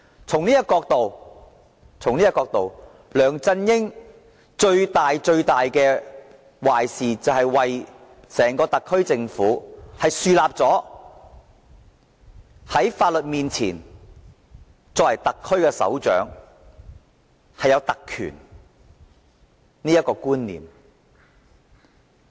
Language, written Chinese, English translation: Cantonese, 從這個角度來看，梁振英所做最大的壞事，是為整個特區政府樹立了"特區首長在法律面前享有特權"的觀念。, From this point of view the gravest wrongdoing on LEUNG Chun - yings part is that he has as far as the entire SAR Government is concerned established the notion that the head of the SAR is entitled to privileges before the law